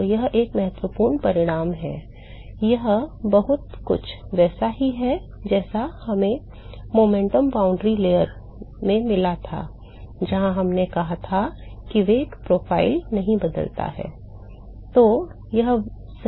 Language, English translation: Hindi, So, that is an important result, it is very similar to what we got in the momentum boundary layer where we said that the velocity profile does not change